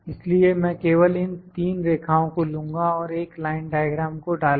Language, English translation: Hindi, So, I will just pick these three lines and insert a line diagram